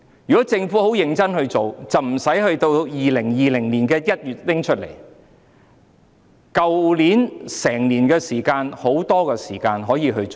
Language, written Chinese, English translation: Cantonese, 如果政府認真處理，便不會等到2020年1月才提出，去年有很多時間可以做。, Had the Government dealt with it seriously it would not have waited until January 2020 to introduce the Bill . There was plenty of time to do so last year